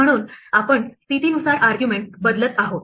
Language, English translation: Marathi, So we are replacing arguments by position